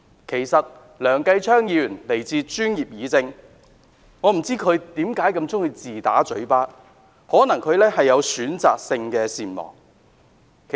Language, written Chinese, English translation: Cantonese, 其實，梁繼昌議員來自專業議政，但我不明白他為何如此喜歡自打嘴巴，或許他患有選擇性善忘症。, Actually Mr Kenneth LEUNG comes from The Professionals Guild but I do not understand why he is so fond of shooting himself in the foot perhaps he is suffering from selective amnesia